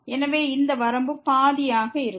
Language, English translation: Tamil, So, this limit will be just half